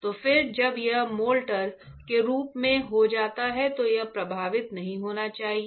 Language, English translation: Hindi, So, then when this gets into molter form, this should not get affected right